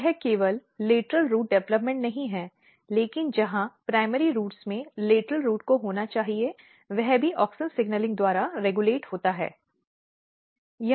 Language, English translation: Hindi, So, it is not only the lateral root development, but where in the primary roots lateral roots has to be that is also regulated by auxin signalling